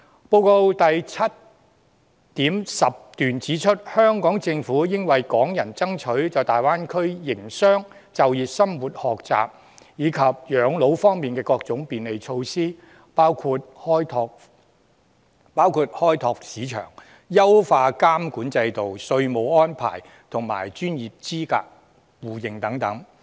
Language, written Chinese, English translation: Cantonese, 報告第 7.10 段指出，"香港政府應為港人爭取在大灣區內營商、就業、生活、學習以及養老方面的各種便利措施，包括開放市場、優化監管制度、稅務安排及專業資格互認等。, It is indicated in paragraph 7.10 of the report that the Hong Kong Government should seek further facilitation measures for Hong Kong people to operate business live work study and retire in the Greater Bay Area . These include market liberalization enhancement of regulatory regime taxation arrangements and mutual recognition of professional qualifications